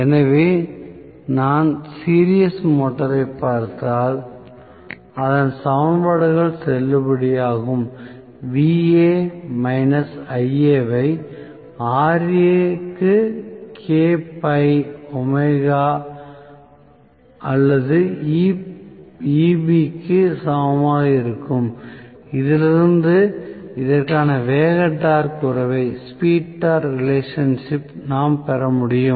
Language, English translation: Tamil, So, if I look at the series motor the same equations will be valid Va minus Ia into Ra equal to K phi omega or Eb from which I should be able to derive the speed torque relationship for this